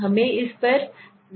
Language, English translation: Hindi, Let us go to this one